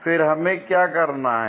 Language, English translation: Hindi, Again what we have to do